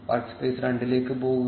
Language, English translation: Malayalam, Go to the work space two